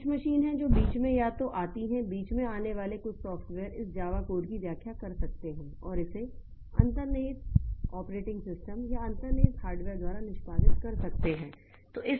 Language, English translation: Hindi, But the problem is that so there is some machine that comes in between or so some software that comes in between that can interpret this Java code and get it executed by the underlying operating system or the underlying hardware